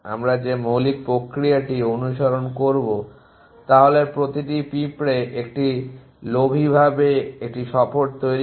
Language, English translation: Bengali, The basic process that we will follow is at each ant constructs a tour in a greedy fashion